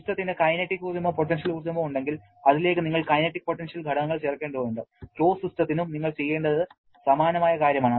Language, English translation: Malayalam, But if the system is having kinetic and potential energies, you have to add the kinetic and potential components to that one also, quite similar thing you have to do for the closed system as well